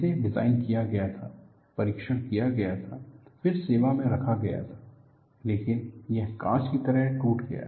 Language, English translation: Hindi, It was designed, tested, then only put into service, but it broke like glass